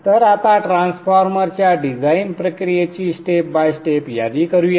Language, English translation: Marathi, So let us now list on step by step the design process for the transformer